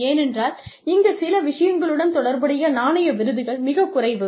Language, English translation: Tamil, Because, even though, there is very little monetary award, associated with certain things, if at all